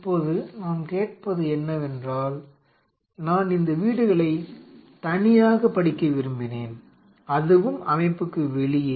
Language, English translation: Tamil, Now what I am asking is that I only wanted to study these houses in isolation and that to not in this system outside the system